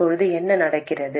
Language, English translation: Tamil, What happens now